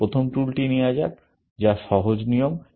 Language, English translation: Bengali, Let us take the first tool, which is the simple rule